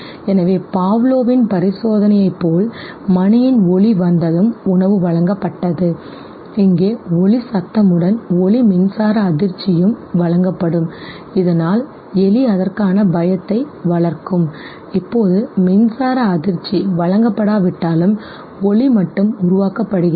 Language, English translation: Tamil, So just like Pavlov’s experiment, where the sound of the bell will come and the food will be presentedHere the sound will be given and along with sound electric shock will also be given and the rat no will develop fear for it, it went to the extent that now even though electric shock was not given only the sound was generated the rat would produce fear